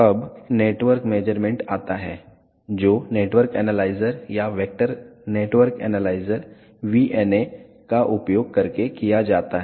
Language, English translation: Hindi, Now, comes network measurements which are done using network analyzers or vector network analyze, VNA